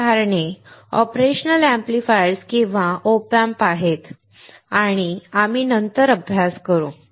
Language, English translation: Marathi, Examples are operational amplifiers or op amps and that we will study later